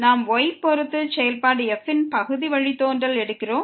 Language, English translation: Tamil, We are taking the derivative with respect to y